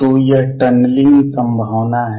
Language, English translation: Hindi, So, this is tunneling probability